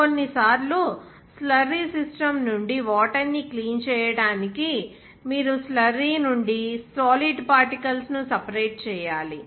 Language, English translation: Telugu, Even sometimes, from the slurry system, you have to separate the solid particles from the slurry to clean the water